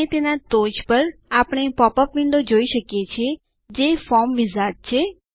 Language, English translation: Gujarati, And on top of it we see a popup window, that says Form Wizard